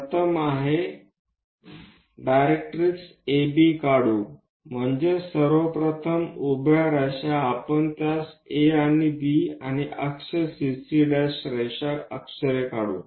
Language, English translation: Marathi, The first one is draw directrix A B, so that means, first of all, a vertical line we are going to draw name it A and B and also axis CC prime